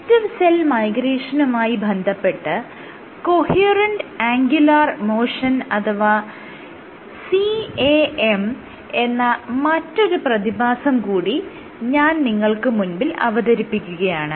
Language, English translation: Malayalam, One another aspect of collective migration that I wanted to discuss which is this phenomena of coherent angular motion or refer to as CAM